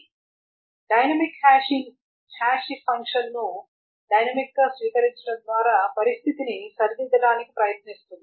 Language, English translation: Telugu, So the dynamic hashing tries to attempt to rectify the situation by dynamically adopting the hashing function itself